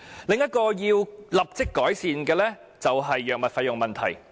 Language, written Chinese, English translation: Cantonese, 另一個需要立即改善的問題是藥物費用問題。, Another problem that warrants immediate improvement is the issue of drug costs